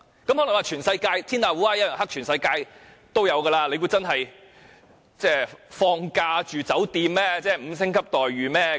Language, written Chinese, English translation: Cantonese, 有人會說，天下烏鴉一樣黑，世界各地也會發生，難道是放假住酒店，會有5星級待遇嗎？, Some may say that birds of a feather flock together and these incidents happen all over the world . They may query whether prisoners should expect to receive a 5 - star hospitality like they were hotel guests